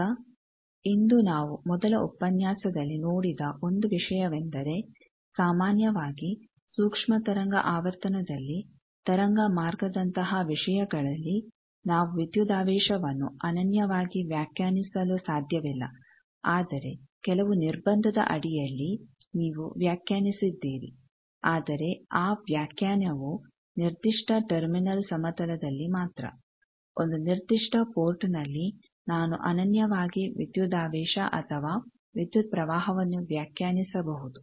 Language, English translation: Kannada, Now, 1 thing that we have seen in the first lecture today that in general for at microwave frequency with waveguide type of things, we cannot define voltage uniquely, but under certain restriction you have define, but that definition we that times say is only at the particular terminal plane at a particular port I can define uniquely voltage or current